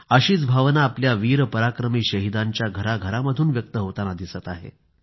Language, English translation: Marathi, Similar sentiments are coming to the fore in the households of our brave heart martyrs